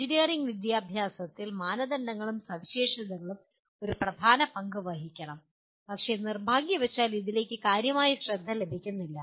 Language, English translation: Malayalam, Criteria and specifications should play a dominant role in engineering education but unfortunately they do not even receive scant attention to this